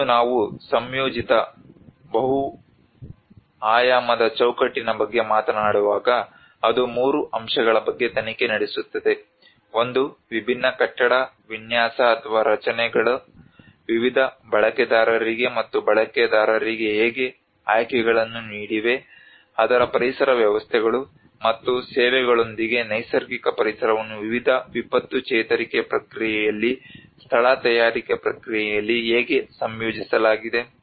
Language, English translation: Kannada, And when we talk about an integrated multi dimensional framework, so it investigates on three aspects; one is how different building practices have offered choices to variety of users and users, how the natural environment with its ecosystems and services has been integrated in the place making process in different disaster recovery process